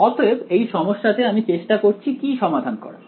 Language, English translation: Bengali, So, in this problem what are we trying to solve for